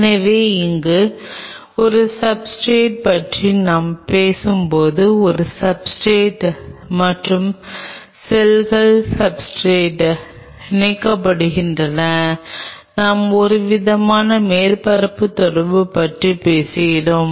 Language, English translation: Tamil, So, when we talk about a substrate here is a substrate and cells are attaching on the substrate we are talking about some form of surface interaction